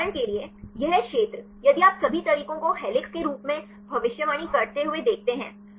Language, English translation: Hindi, For example, this region if you see all the methods predict as helix